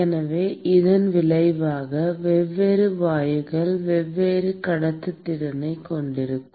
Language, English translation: Tamil, So, as a result, different gases will have different conductivity